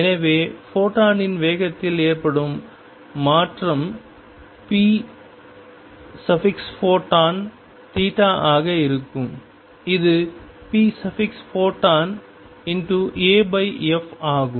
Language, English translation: Tamil, So, change in the momentum of photon is going to be p photon times theta, which is p photon times theta is a over f